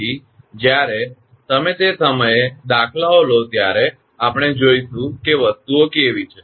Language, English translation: Gujarati, Later when you take the numericals at that time we will see how things are